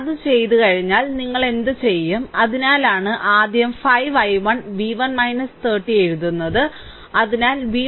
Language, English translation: Malayalam, So, once it is done, then what you do that is why first I am writing 5 i 1 v 1 minus 30, so v 1 is equal to 30 minus 5 1, I showed you